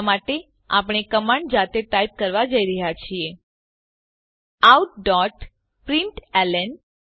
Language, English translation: Gujarati, For now we are going to type the command manually Out.println